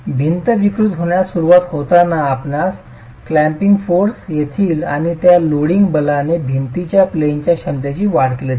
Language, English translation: Marathi, As the wall starts deforming you will get clamping forces coming in and those clamping forces will augment the out of plane capacity of the wall